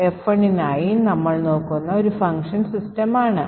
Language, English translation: Malayalam, So, one function that we will look at for F1 is the function system